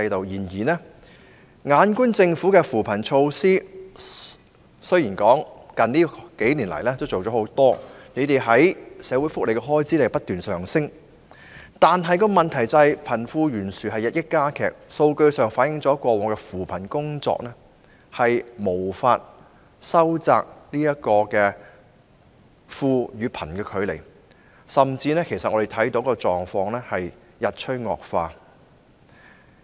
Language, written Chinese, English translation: Cantonese, 然而，政府雖然在近年推行不少扶貧工作和措施，社會福利方面的開支亦不斷上升，但問題是貧富懸殊日益加劇，數據反映了過往的扶貧工作無法收窄貧富差距，我們甚至看到情況日趨惡化。, Nevertheless despite the fact that the Government has made much effort and implemented quite a number of measures on poverty alleviation in recent years and that the expenditure on social welfare has also been rising continuously the disparity between the rich and the poor is worsening . Relevant data reflect that past efforts in poverty alleviation have failed to narrow the wealth gap and we even witness the situation worsening